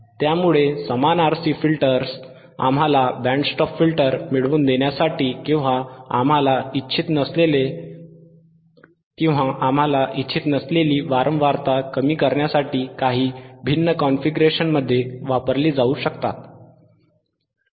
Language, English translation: Marathi, So, same RC filters can be used in some different configurations to get us a band stop filter or attenuate the frequency that we do not desire all right